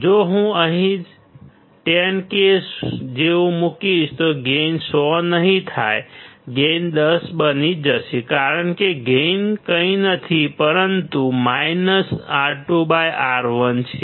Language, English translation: Gujarati, If I put like 10K here, the gain will not be 100; the gain will become 10 because gain is nothing, but minus R 2 by R 1